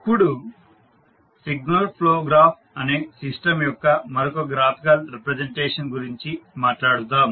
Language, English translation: Telugu, Now, let us talk about another the graphical representation of the system that is Signal Flow Graph